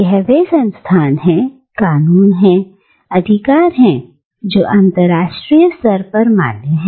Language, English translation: Hindi, And they are these institutions, these laws, these rights, which are internationally valid